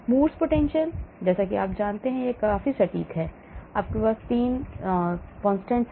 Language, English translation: Hindi, Morse potential if you go that is also quite accurate here you have 3 constants